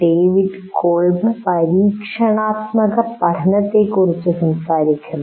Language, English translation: Malayalam, David Colb talks about experiential learning